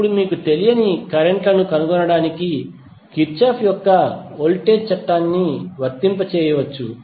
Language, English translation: Telugu, Now you can simply apply the Kirchhoff's voltage law to find the unknown currents